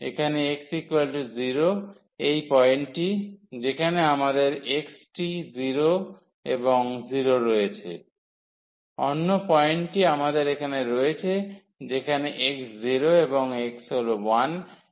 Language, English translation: Bengali, So, here x is equal to 0 is this point, where we have x 0 and y 0, the another point we have here where the x is 0 and y is sorry x is 1 and y is 1